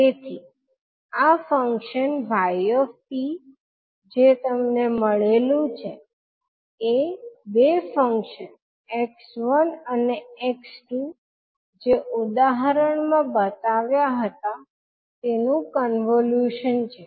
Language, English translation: Gujarati, So this function which you have now got y t, is the convolution of two functions x one and x two which were defined in the example